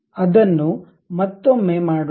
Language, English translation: Kannada, Let us do it once again